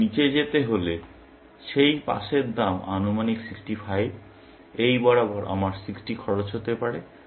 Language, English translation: Bengali, Because going down, that pass is estimated to cost 65, along this, I can cost 60